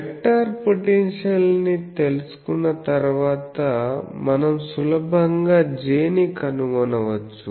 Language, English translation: Telugu, Once we know the vector potential we can easily find J so that will be